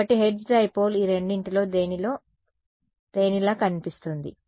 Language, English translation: Telugu, So, hertz dipole looks more like a which of the two does it look like